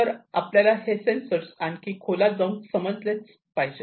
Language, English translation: Marathi, So, we need to understand these sensors, in more detail